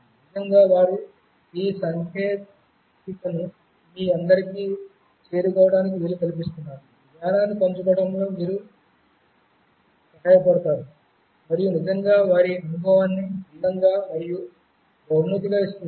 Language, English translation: Telugu, They have been actually enabling this technology to reach all of you, helping in sharing the knowledge, and making the experience really beautiful and rewarding